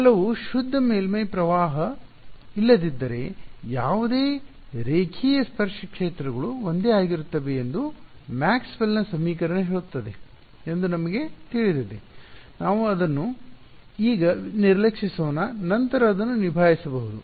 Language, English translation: Kannada, Right so, we know Maxwell’s equation say that the fields the tangential fields that any boundary are the same unless there is some pure surface current let us ignore that for the we can deal with it later